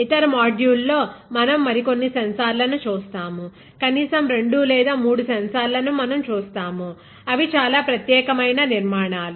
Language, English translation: Telugu, So, in another, in other modules, we will see other few more sensors, I think at least two or three more sensors we will see which are again unique structures